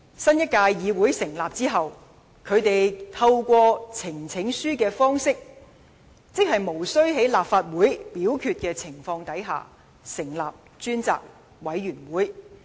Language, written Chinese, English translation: Cantonese, 新一屆立法會成立後，反對派便透過呈請書的方式，在無需經由立法會表決的情況下，成立專責委員會。, After the new Legislative Council is formed the opposition camp managed to establish a select committee through the presentation of a petition which does not require any voting by the Council